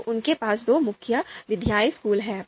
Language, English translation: Hindi, So they have two main methodological schools